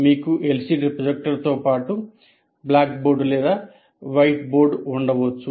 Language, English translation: Telugu, You may have a blackboard or a white board and also have an LCD projector